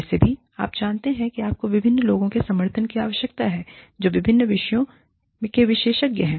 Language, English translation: Hindi, Anyway, is you know, you need the support of different people, who are experts in different disciplines